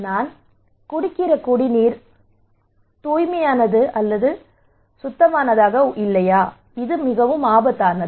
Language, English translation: Tamil, Is it risky is the water I am drinking is it really risky